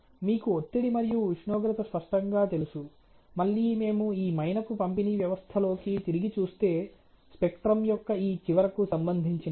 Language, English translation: Telugu, Obviously, again let us look back into this wax dispensing system is related to this end of the spectrum